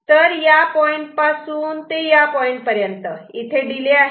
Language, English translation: Marathi, So, from this point to this point, there is a delay right